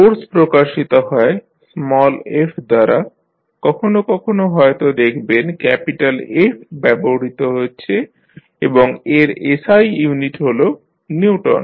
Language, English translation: Bengali, Force we represent with small f sometimes you will also see capital F is being used and the SI unit is Newton